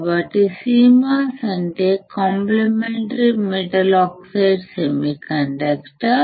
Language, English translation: Telugu, So, CMOS stands for complementary metal oxide semiconductor